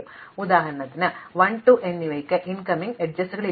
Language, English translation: Malayalam, So, for instance 1 and 2 have no incoming edges